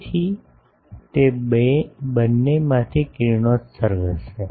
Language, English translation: Gujarati, So, there will be radiation from both of them